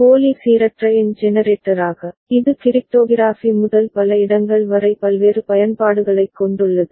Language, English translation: Tamil, And as pseudo random number generator, it has various use in from cryptography to many different places